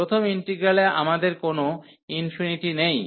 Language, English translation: Bengali, In the first integral, we have no infinity